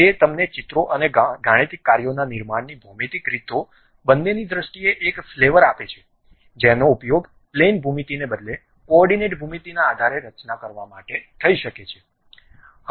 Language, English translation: Gujarati, That gives you a flavor in terms of both geometrical way of constructing the pictures and mathematical functions which might be using to construct that more like based on coordinate geometry rather than plane geometry, great